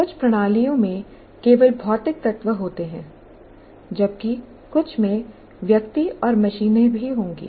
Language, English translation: Hindi, Some systems consist only of physical elements, while some will have persons and machines also